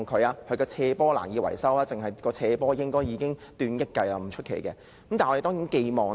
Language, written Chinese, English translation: Cantonese, 因為它的斜坡難以維修，單單修葺斜坡估計已達億元計也不足為奇。, It is because the sloppy landscape poses maintenance difficulties . It is not surprising that the slope maintenance will cost some hundred million dollars